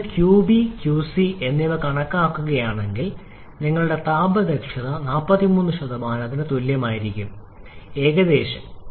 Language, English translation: Malayalam, And if you check calculate qB and qC your thermal efficiency will be coming to be equal to 43% approximately